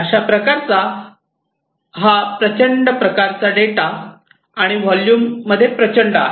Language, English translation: Marathi, This is huge kind of data and huge in volume